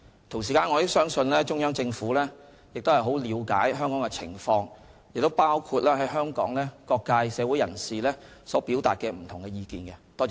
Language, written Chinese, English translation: Cantonese, 同時，我亦相信中央政府很了解香港的情況，包括香港社會各界人士所表達的不同意見。, I also believe that the Central Government is well understands aware of the situation in Hong Kong including the opinions raised by various social sectors